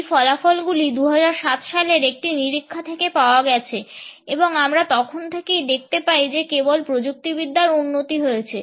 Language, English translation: Bengali, These findings are from a 2007 survey and since that we find that the presence of technology has only been enhanced